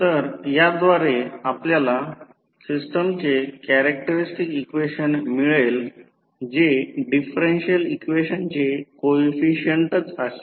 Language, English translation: Marathi, So, with this you get the characteristic equation of the system which is nothing but the coefficients of the differential equation